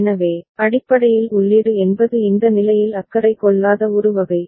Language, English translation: Tamil, So, basically input is a kind of don’t care in this condition